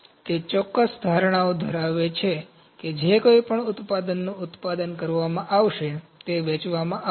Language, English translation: Gujarati, It has certain assumptions that any product that would be produced would be sold